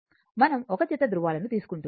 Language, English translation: Telugu, We are taking pair of poles